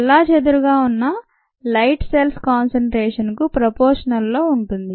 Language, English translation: Telugu, the light that is been scattered is proportional to the concentration of cells